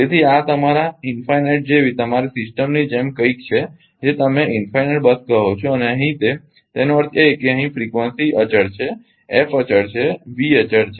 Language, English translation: Gujarati, So, this is something like your infinite your system that is you call infinite bar right and here they; that means, here frequency is constant f is constant V is constant